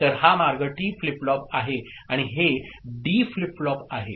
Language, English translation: Marathi, So, this is the way we can see that it is the T flip flop, and this is D flip flop